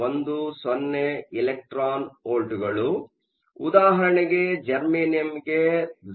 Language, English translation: Kannada, 10 electron volts, E g for germanium is around 0